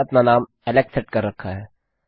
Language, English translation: Hindi, Ive got my name set to Alex